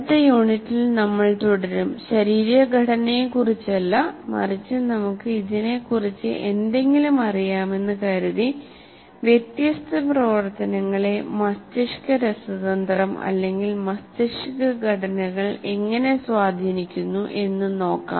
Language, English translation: Malayalam, And in the next unit will continue the not about the anatomy, but assuming that we know something about it, how different activities kind of are influenced by the brain chemistry or brain structures